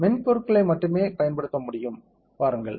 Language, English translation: Tamil, See the softwares can be used only